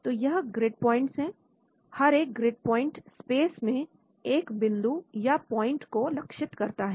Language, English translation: Hindi, So these are the grid points, each grid point defines a point in space